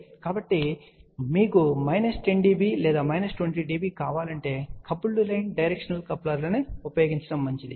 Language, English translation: Telugu, So, if you want a coupling of minus 10 dB or minus 20 dB it is better to use coupled line directional coupler